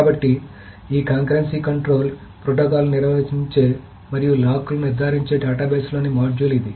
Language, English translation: Telugu, So, this is the module in the database that handles this concurrency control protocols and handles the locks, etc